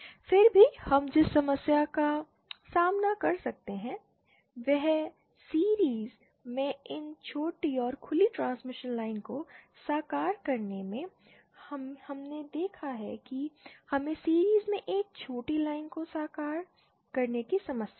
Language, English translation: Hindi, Now how still the problem we can face is in realising these shorted and open transmission line in series we saw we have a problem of realising a shorted line in series